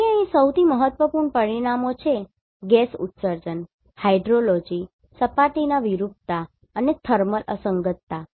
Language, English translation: Gujarati, So, here the most important parameters are Gas Emission, Hydrology, Surface Deformation and Thermal Anomaly